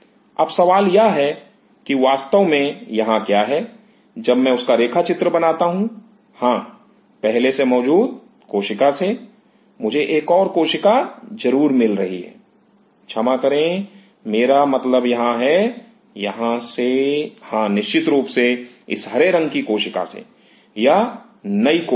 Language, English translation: Hindi, Now the question is yes indeed what here when I am drawing that yes from the pre existing cell, I am getting another cell sure, sorry, I mean out here; out here, yeah definitely, from cell this green one, this is the new cell